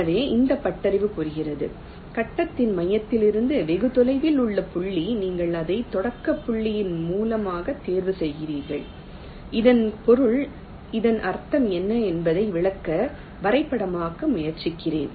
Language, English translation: Tamil, so this heuristic says that the point which is farthest from the center of the grid, you choose it as the source of the starting point, which means let me diagrammatically try to explain what does this mean